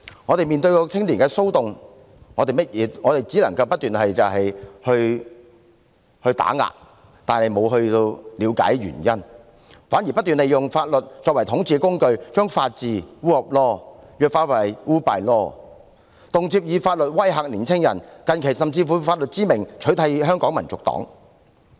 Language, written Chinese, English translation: Cantonese, 政府面對青年騷動，只是不停地打壓，卻沒有了解原因，反而不斷用法律作為統治工具，將法治弱化為 rule by law， 動輒以法律威嚇年青人，近期甚至以法律之名取締香港民族黨。, In the face of the riots involving young people it just kept taking suppressive measures without gaining an understanding of the causes . Quite the contrary it keeps using the law as a tool for ruling and degrades the rule of law into rule by law using the law to intimidate young people at every turn and recently it even invoked the law to ban the Hong Kong National Party